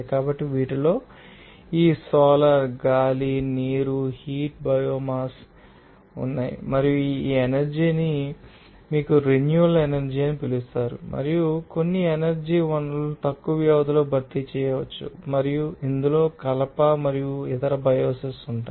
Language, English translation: Telugu, So, these include these solar, wind, water, geothermal biomass and these are these energy are called you know renewable energy and some energy sources can be replaced over relatively short periods of time and this includes wood and other biomass all are considered as a renewable energy